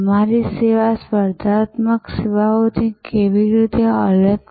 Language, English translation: Gujarati, How is your service different from competitive services